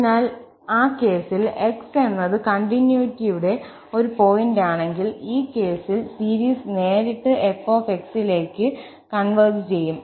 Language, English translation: Malayalam, So, in that case, if x is a point of continuity, in this case, the series will converge directly to f